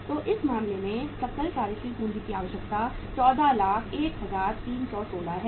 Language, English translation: Hindi, So in this case the gross working capital requirement is 14,01,316